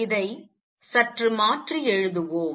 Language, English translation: Tamil, Let us rewrite this slightly